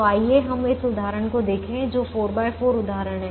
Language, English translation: Hindi, so let us look at this example, which is a four by four example